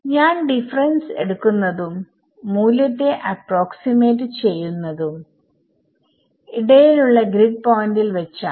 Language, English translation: Malayalam, So, it is very neat that when I am taking the difference and approximating the value at a grid point in between